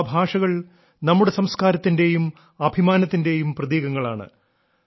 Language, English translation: Malayalam, India is a land of many languages, which symbolizes our culture and pride